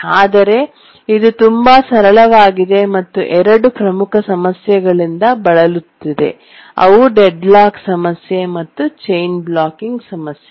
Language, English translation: Kannada, But then we saw that it is rather too simple and suffers from two major problems, the deadlock problem and the chain blocking problem